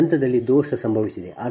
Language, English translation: Kannada, right now, fault has occurred here